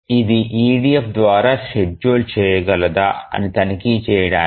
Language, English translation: Telugu, Now we want to check whether this is EDF scheduleable